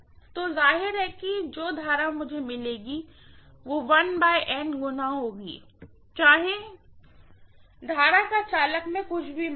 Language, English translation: Hindi, So obviously the current what I get here will be 1 by N times, whatever is the current that is actually there in the conductor, fine